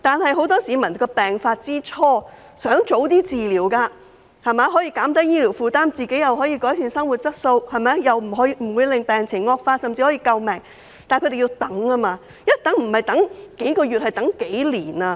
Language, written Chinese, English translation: Cantonese, 很多市民在病發之初已希望能及早治療，這樣不但可以減低醫療負擔，亦可以改善生活質素，防止病情惡化，甚至可以救命，但他們卻要一直等待，不是等待幾個月，而是幾年。, Many people wish to have early treatment in the initial stage of illness . Not only can this relieve their burden of medical expenses but also improve their quality of life prevent their medical condition from deteriorating and even save their lives . Yet they have to keep waiting not for a few months but a few years